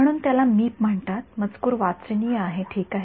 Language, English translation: Marathi, So it is called Meep the text is readable yeah ok